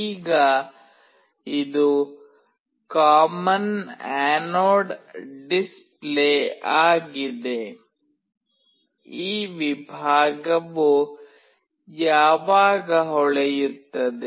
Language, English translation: Kannada, Now, it is a common anode display; when this segment will glow